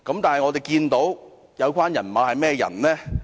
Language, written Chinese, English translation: Cantonese, 但是，有關"人馬"是甚麼人呢？, But what kind of people are working for CPU?